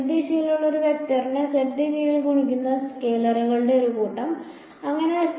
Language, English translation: Malayalam, Z direction bunch of scalars multiplying a vector in the z direction, so z